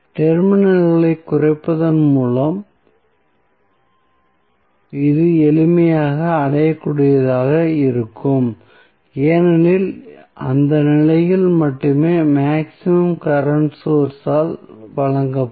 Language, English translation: Tamil, It will be achieved simply by sorting the terminals because only at that condition the maximum current would be delivered by the source